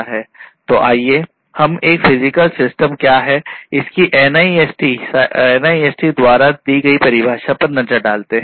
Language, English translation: Hindi, So, let us look at the NIST definition of what a cyber physical system is